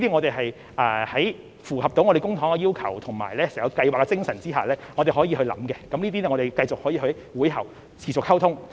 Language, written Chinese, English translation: Cantonese, 在符合公帑的要求和整項計劃的精神下，我們可以考慮，也可以在會後繼續溝通，看看還可以多做些甚麼。, Any suggestion which complies with the requirements of using public funds and is in line with the spirit of the entire scheme can be considered . We can also continue with our discussion after the meeting to see what else can be done